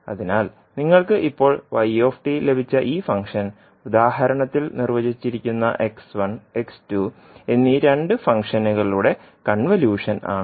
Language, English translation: Malayalam, So this function which you have now got y t, is the convolution of two functions x one and x two which were defined in the example